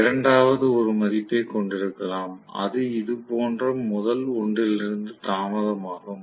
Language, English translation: Tamil, The second might have a value, which is delay from the first one like this